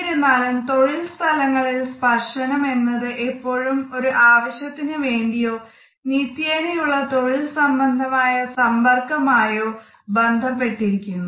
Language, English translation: Malayalam, However, we find that in the workplace touch is always related to a goal or it is a part of a routine professional interaction